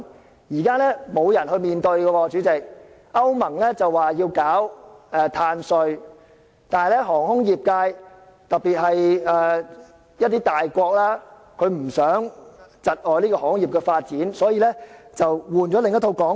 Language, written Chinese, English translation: Cantonese, 主席，現時沒有人去面對問題，歐盟說要推出碳稅，但航空業界，特別是一些大國不希望窒礙航空業發展，所以便換了另一套說法。, President no one is paying heed to this question now . The European Union wanted to put in place a carbon tax . However as the aviation industry or more importantly some major countries do not want to see a stall in the development of the aviation industry an alternative discourse has been adopted